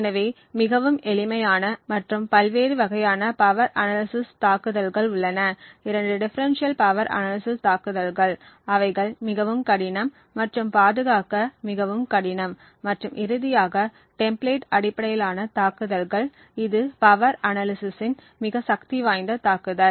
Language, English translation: Tamil, So there are various types of power analysis attacks ranging from very simple or the simple power analysis, two differential power analysis which is far more difficult and also far more difficult to protect and finally the template based attacks which is the most powerful form of power analysis attacks